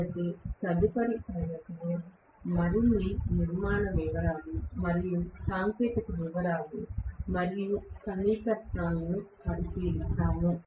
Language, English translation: Telugu, So, we look at the further constructional details and technical details and equations in the next class